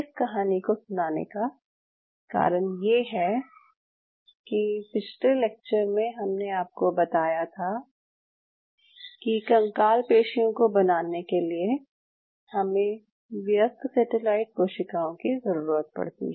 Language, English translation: Hindi, I am telling you this story because in the last class when I told you why you needed adult satellite cells to make skeletal muscle is the reason